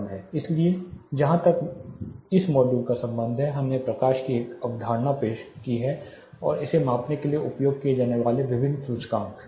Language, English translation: Hindi, So, as far this module is concerned we have talked about we have introduced a concept of light and various indices use for measuring it